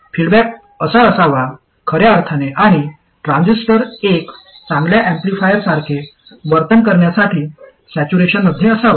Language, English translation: Marathi, The feedback has to be in the correct sense and the transistor has to be in saturation for it to behave like a good amplifier